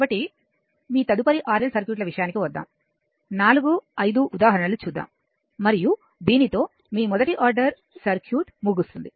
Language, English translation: Telugu, So let us come to your next regarding RL circuits few examples 4 5 examples and with this your first order circuit will stop